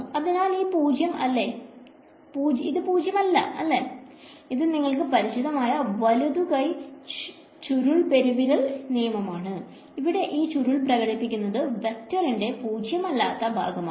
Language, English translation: Malayalam, So, this is non zero right and this is the familiar your right hand curl thumb rule sort of you can twist it along this and the curl is showing you where the vector is non zero